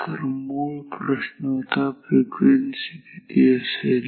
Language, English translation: Marathi, So, the original question was to find the frequency ok